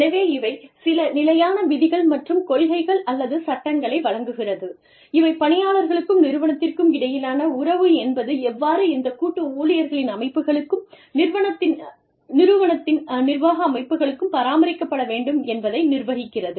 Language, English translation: Tamil, So, these are some standard rules, and policies, or laws, that govern, how the relationship between, these employee bodies, these collective bodies of employees and the organization, the administrative bodies of the organization, should be maintained